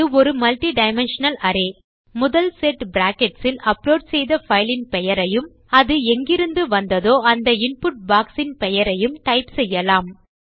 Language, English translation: Tamil, Since this is a multidimensional array, in the first set of brackets well type the name of the file that we have uploaded and the name of the input box from which it came from that is myfile